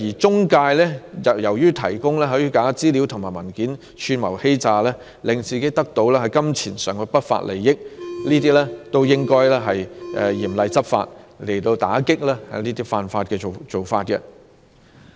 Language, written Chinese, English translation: Cantonese, 中介藉着提供虛假資料和文件及串謀欺詐，也令自己得到金錢上的不法利益，這些均是應該嚴厲執法，加強打擊的犯法行為。, Syndicates arranging bogus marriages have also furnished false information and documents and committed the offence of conspiracy to defraud with the objective of obtaining unlawful pecuniary benefits . These are offending acts against which stringent and stepped - up enforcement actions should be taken